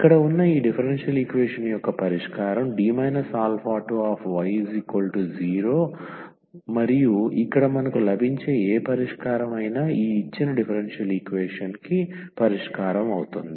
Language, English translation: Telugu, So, that is the idea here that we look a solution of this differential equation here D minus alpha 2 y is equal to 0 and whatever solution we get here that will be also a solution of this given differential equation